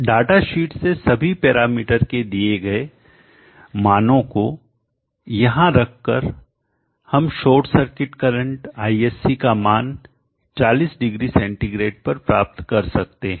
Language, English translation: Hindi, For the values given in the data sheet substituting for all this parameters here we can get the short circuit current ISC value at 400C